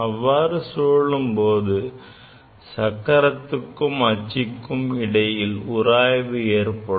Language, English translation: Tamil, When it is moving, there will be friction between the rotating wheel as well as the axle